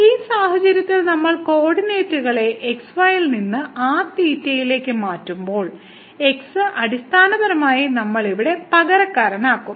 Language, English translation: Malayalam, So, in this case when we change the coordinates from to theta, then will be a so we basically substitute here